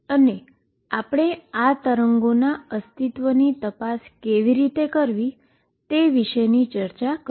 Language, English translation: Gujarati, And we have also discussed how to check or test for the existence of these waves